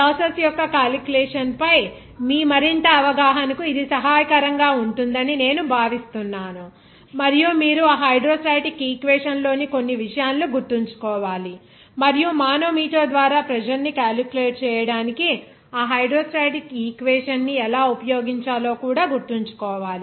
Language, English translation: Telugu, I think it would be helpful for your further understanding of the calculation of the process and you have to remember certain things of that hydrostatic equation and also how to use that hydrostatic equation to calculate the pressure by the manometer